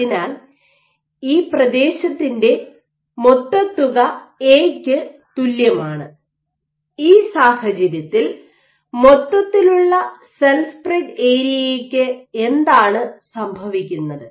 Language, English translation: Malayalam, So, that summation of area is same as A and in this case, what is happening, is the overall cell spread area